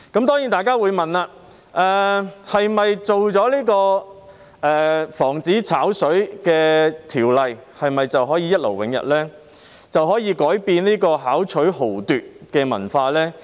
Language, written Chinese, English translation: Cantonese, 當然，大家會問，是否推出防止"炒水"的法例便可以一勞永逸，可以改變這個巧取豪奪的文化呢？, Of course people will ask whether all problems can be resolved and the culture of extortion by tricks can be changed with the introduction of a law which prevents overcharging for the use of water